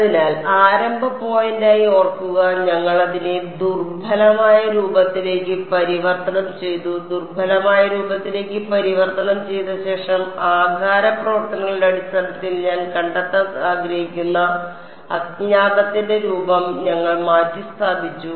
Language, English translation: Malayalam, So, remember as starting point was the weighted residual form we converted that to the weak form, after converting to weak form we substituted the form of the unknown that I want to find out in terms of shape functions